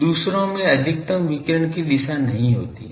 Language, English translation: Hindi, The others are not containing maximum direction of radiation